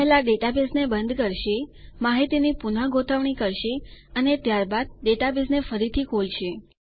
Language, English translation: Gujarati, This will first close the database, reorganize the data and then re open the database